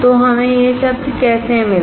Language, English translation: Hindi, So, how we got this word